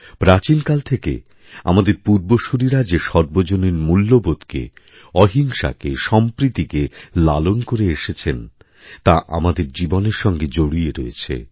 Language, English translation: Bengali, For centuries, our forefathers have imbibed community values, nonviolence, mutual respect these are inherent to us